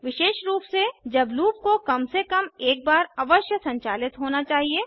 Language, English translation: Hindi, Specially, when the loop must run at least once